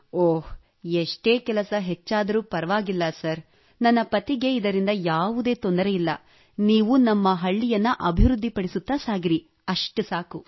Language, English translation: Kannada, It doesn't matter, no matter how much work increases sir, my husband has no problem with that…do go on developing our village